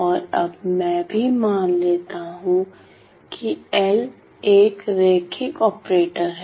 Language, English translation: Hindi, And now I also assume that L is a linear is a linear operator